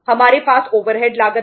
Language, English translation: Hindi, We have the other say overheads cost